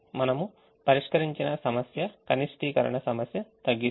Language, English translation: Telugu, so the minimization problem that we solve minimizes